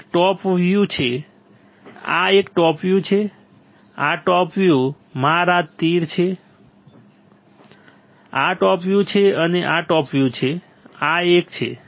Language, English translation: Gujarati, This one is top view top view this one, this one is top view, this one is top view my arrows, this one is top view and this one is top view this one